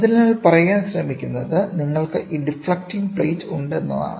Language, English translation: Malayalam, So, what they are trying to say is you have these deflecting plates